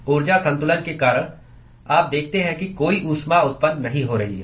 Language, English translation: Hindi, Because of the energy balance, you see that there is no heat that is being generated